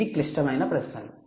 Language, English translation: Telugu, that's the critical question